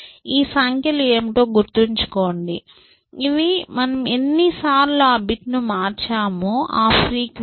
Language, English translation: Telugu, Remember that, what these numbers are, these are the frequency of how many times you have changes that bit essentially